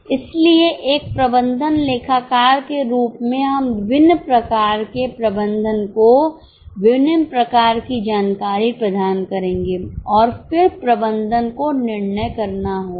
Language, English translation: Hindi, So, see, as management accountants, we will provide different type of information to various levels of management